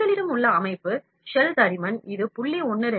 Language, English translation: Tamil, Structure we have shell thickness, it is set as 0